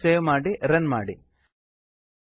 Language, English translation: Kannada, Save the file run it